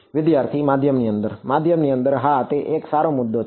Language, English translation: Gujarati, Inside the medium Inside the medium yes that is a good point right